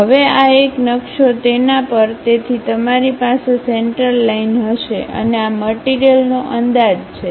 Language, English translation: Gujarati, Now this one maps on to that; so, you will be having a center line and this material is projected